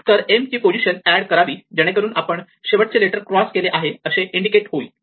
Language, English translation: Marathi, So, what we will do is, we will add a position of m to indicate that we have crossed the last letter